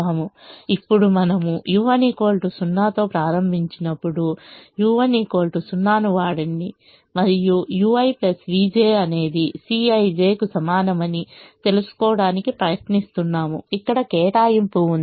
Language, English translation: Telugu, now, when we initialize u one equal to zero, initialize with u one equal to zero and try to find out: use u i plus v j is equal to c i j, where there is an allocation